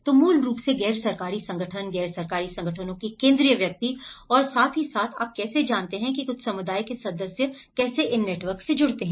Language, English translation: Hindi, So basically the NGOs, how the central persons of the NGOs and as well as you know, some community members how they are also linked with these networks